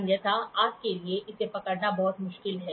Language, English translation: Hindi, Otherwise, it is very difficult for you to hold